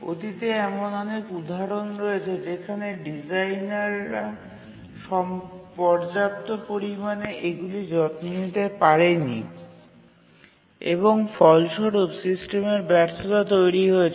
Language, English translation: Bengali, In the past, there have been many examples where the designers could not adequately take care of this and resulted in system failure